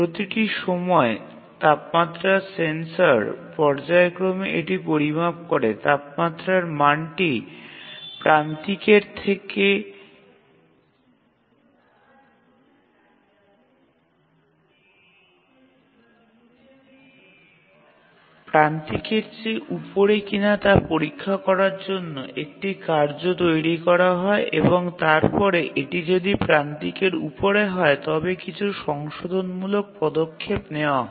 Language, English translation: Bengali, So each time the temperature sensor measures it and it periodically measures a task is generated to check the temperature value whether it is above the threshold and then if it is above the threshold then take some corrective action